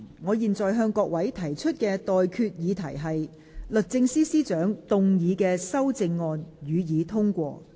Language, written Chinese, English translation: Cantonese, 我現在向各位提出的待決議題是：律政司司長動議的修正案，予以通過。, I now put the question to you and that is That the amendments moved by the Secretary for Justice be passed